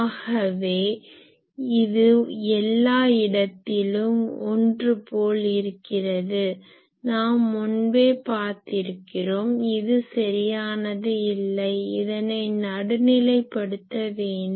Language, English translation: Tamil, So, everywhere this is same that we have already seen this way this is not correct, this will have to be centered